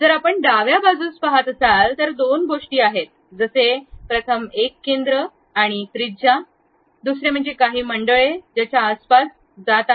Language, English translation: Marathi, If you are seeing on the left hand side, there are two things like first one is center and radius, second one is some three points around which this circle is passing